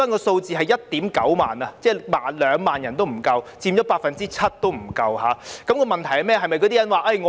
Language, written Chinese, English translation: Cantonese, 數字是 19,000 人，即不足2萬人，佔不足 7%， 問題在哪裏呢？, The figure is 19 000 which is less than 20 000 people accounting for less than 7 % of the total . Where does the problem lie?